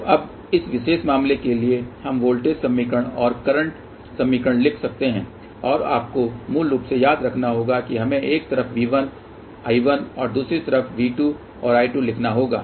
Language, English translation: Hindi, So, now for this particular case we can write the voltage equation and current equation and you have to remember basically that we have to write V 1 and I 1 on one side and V 2 and I 2 on the other side